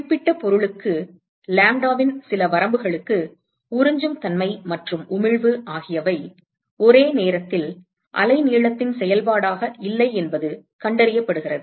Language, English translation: Tamil, For certain object, it is being found that for some range of lambda, the absorptivity and emissivity simultaneously are not a function of the wavelength